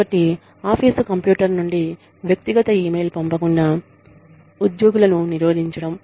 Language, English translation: Telugu, So, preventing the employees, from sending personal email, from the office computer